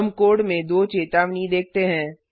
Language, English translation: Hindi, We see 2 warnings in the code